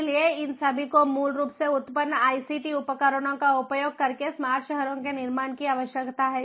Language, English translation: Hindi, so all these basically necessitate the building of smart cities using advanced ict tools